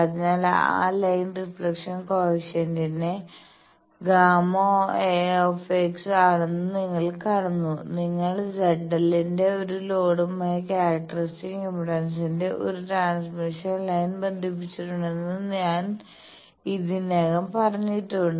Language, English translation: Malayalam, So, you see that that line reflection coefficient gamma x, I have already said that you have connected a transmission line of characteristic impedance to a load of Z l